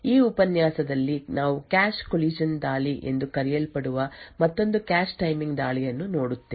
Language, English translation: Kannada, In this lecture will be looking at another cache timing attack known as cache collision attacks